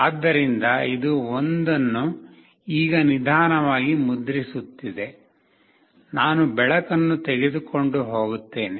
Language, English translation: Kannada, So, it is printing 1 now slowly, I will take away the light